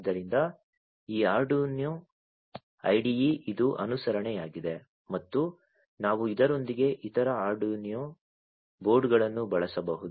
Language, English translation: Kannada, So, this Arduino IDE it is compliant with and we can use other Arduino boards along with this one